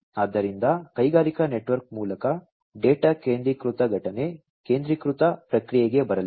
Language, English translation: Kannada, So, through the industrial network the data are going to be coming for centralized event, centralized processing